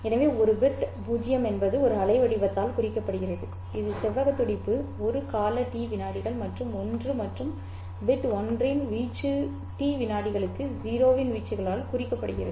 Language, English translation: Tamil, So a bit 0 is represented by a waveform which is a rectangular pulse having a duration T seconds and an amplitude of 1 and bit 1 is represented by an amplitude of 0 for a duration of T seconds